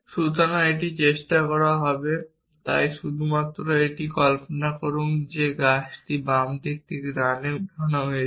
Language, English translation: Bengali, So, it will it is it tried this so just imagine that that tree was lift from left to right